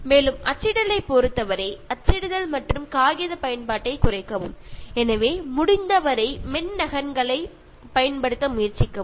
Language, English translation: Tamil, And in terms of printing, so minimize printing and paper use, so try to use as far as possible soft copies